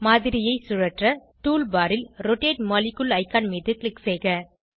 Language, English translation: Tamil, To rotate the model, click on the Rotate molecule icon on the tool bar